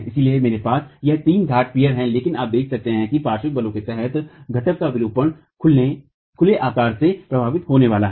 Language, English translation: Hindi, So, I have three piers here but you can see that the deformation of the pier under lateral forces is going to be affected by the size of the openings